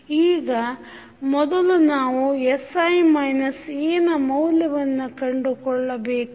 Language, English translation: Kannada, Now, first we need to find out the value of sI minus A